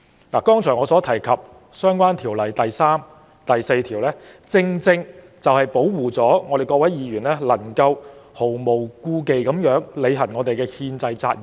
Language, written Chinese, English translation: Cantonese, 我剛才提到的《條例》第3條及第4條，保護各位議員毫無顧忌地履行憲制責任。, Sections 3 and 4 of the Ordinance that I mentioned just now protect Members so that we have no scruples about fulfilling our constitutional responsibilities